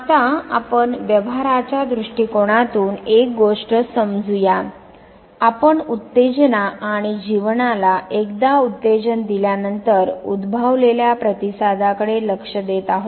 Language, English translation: Marathi, Now, let us understand one thing from a behaviorist point of view, we would be looking at the stimulus and the response that is elicited once that stimulus is presented to the organism